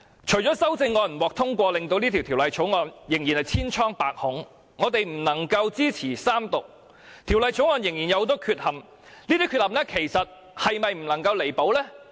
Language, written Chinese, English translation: Cantonese, 除了修正案不獲通過，以致《條例草案》仍然千瘡百孔，令我們不能支持三讀外，《條例草案》仍然有很多缺陷，而這些缺陷其實是否不能夠彌補呢？, Besides the fact that amendments will be negatived it is still a problem - fraught Bill and that is why we cannot support the Third Reading . In addition as to the defects of the Bill can they not be rectified at all?